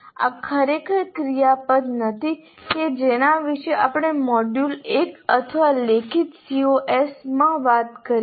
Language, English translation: Gujarati, These are not really the action verbs that we talked about in the module one or in writing C Os